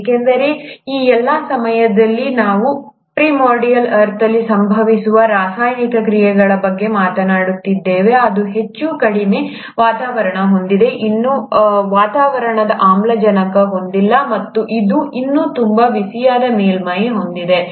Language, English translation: Kannada, Because all this while, we are just talking about chemical reactions which are happening in a primordial earth, which has got a highly reducing environment, still doesn't have atmospheric oxygen, and it still has a very hot surface